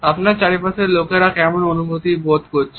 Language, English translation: Bengali, What to better understand how people around you feel